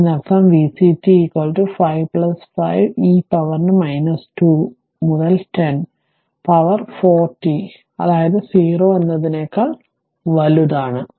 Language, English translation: Malayalam, So, that means v c t is equal to 5 plus 5 e to the power minus 2 into 10 to the power 4 t ah your, that means that is for t greater than 0